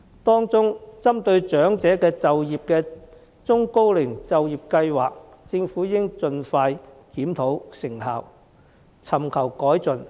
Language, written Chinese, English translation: Cantonese, 當中，針對長者就業的中高齡就業計劃，政府應盡快檢討成效，尋求改進。, Among these is the EPEM which targets at the employment of the elderly and the Government should review the effectiveness of the programme as soon as possible and seek improvement